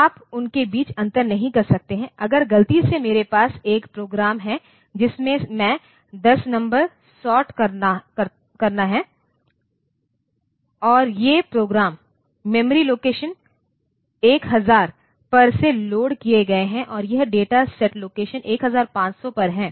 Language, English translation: Hindi, So, program and data, you cannot distinguish between them like if by mistake I have a program in which I sort, say 10 numbers and these programs is loaded from say memory location 1000 onwards and that data set is there from location 1500 onwards